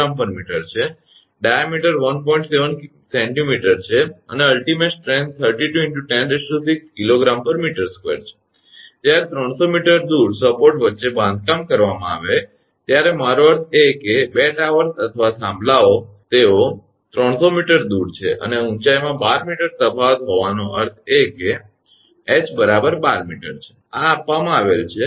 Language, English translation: Gujarati, 7 centimeter and ultimate strength is 32 into 10 to power 6 kg per meter square right, when erected between supports 300 meter apart, I mean 2 towers or poles they are 300 meter apart and having 12 meter difference in height that is h is equal to 12 meter this is given